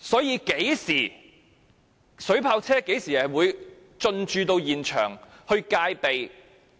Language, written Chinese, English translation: Cantonese, 究竟水炮車應於何時進駐現場戒備？, When should water cannon vehicles be actually mobilized to the scene for precaution?